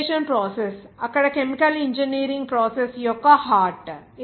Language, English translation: Telugu, The distillation process is the heart of the chemical engineering process there